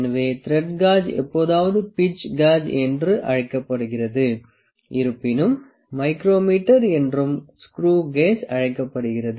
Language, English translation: Tamil, So, thread gauge is also sometime known as screw gauge however the micro meter is also known as screw gauge, it is also known as pitch gauge